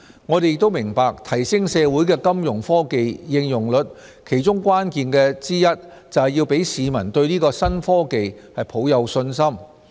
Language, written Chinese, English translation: Cantonese, 我們亦明白提升社會的金融科技應用率其中關鍵之一是要讓市民對這些新科技抱有信心。, We also understand that a key to enhancing the rate of utilization of Fintech is to make the public feel confident in using these new technologies